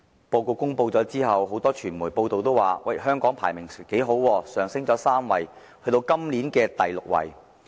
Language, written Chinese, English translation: Cantonese, 報告公布後，很多傳媒報道指香港排名不錯，上升3位至今年的第六位。, After the release of the Report many media reported the high ranking of Hong Kong highlighting that Hong Kong had moved up three places to the sixth this year